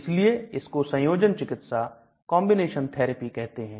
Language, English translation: Hindi, So this is called a combination therapy